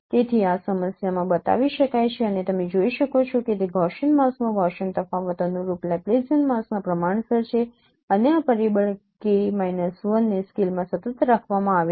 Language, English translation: Gujarati, So this can be shown in this form and you can see that the Gaussian difference of Gaussian mask is proportional to the corresponding Laplacian mask and this factor is K minus is kept constant across scales